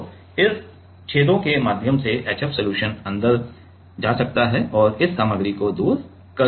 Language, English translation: Hindi, So, through these holes through this holes HF solution can go in and can etch away this material